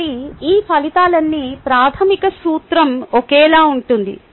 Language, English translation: Telugu, so all these outcomes, the basic principle remains the same